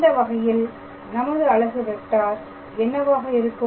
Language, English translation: Tamil, So, then in that case what will be our unit vector